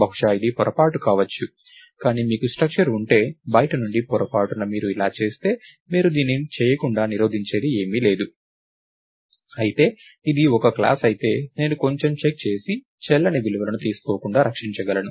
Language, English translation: Telugu, So, maybe it was a mistake, but if you have a structure from the outside, by mistake if you do this, there is nothing which will stop you from doing it whereas, if its a class, then I can put some check and protect invalid values from not being taken